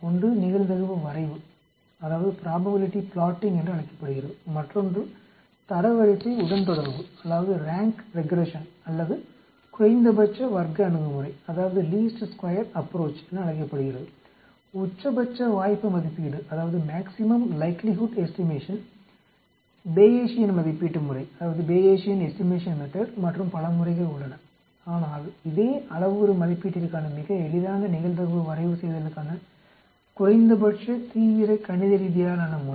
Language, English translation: Tamil, There are different approaches by which you can estimate one is called the probability plotting,other is called the rank regression or least square approach, maximum like estimation, Bayesian estimation method and so many methods are there but this is the most simplest probability plotting least mathematically intensive method for parameter estimation